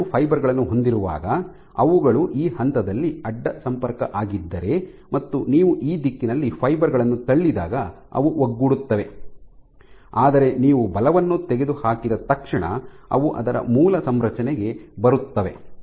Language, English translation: Kannada, So, when you have two fibers if they are cross linked at this point when you tend to force along this direction they will align, but as soon as you remove the force they will come back to its original configuration